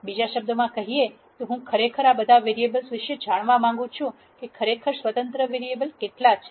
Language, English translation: Gujarati, In other words, I would really like to know of all these variables, how many are actually independent variables